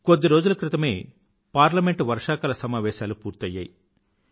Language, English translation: Telugu, The monsoon session of Parliament ended just a few days back